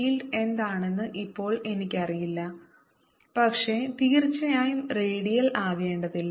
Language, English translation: Malayalam, now i don't know what the field is, but certainly need not be radial